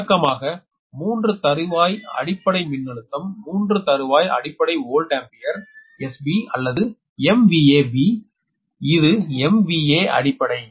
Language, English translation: Tamil, so usually three phase base voltage, three phase base volt ampere, s b or m v a b, that is m v a base, right